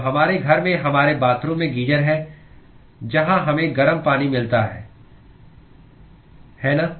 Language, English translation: Hindi, So we have geysers at our residence in our bathroom where we get hot water, right